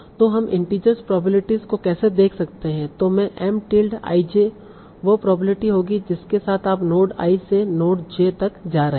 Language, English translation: Hindi, So now this m tilde I J will be the probability with which you are going from node I to node J